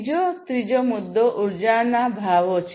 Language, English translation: Gujarati, The second, the third one is the energy prices